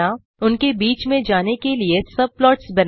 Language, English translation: Hindi, Create subplots to switch between them